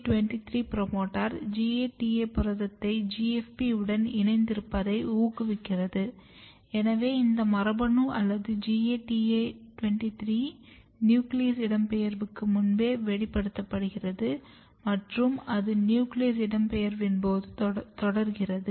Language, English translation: Tamil, And if you look GATA23 promoter driving GATA protein fused with GFP you can see the gene is or the GATA23 is expressed even before nuclear migration and it continues during the nuclear migration